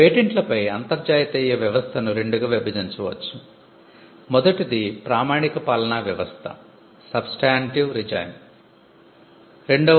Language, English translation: Telugu, The international system on patents can be divided into two; one you have the substantive regime and you have the procedural regime